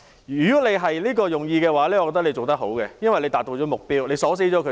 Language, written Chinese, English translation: Cantonese, 如果你是這樣想的話，你做得很好，因為已達到了目的，鎖死了他們。, If it were your intention you had done a great job because you had achieved your goal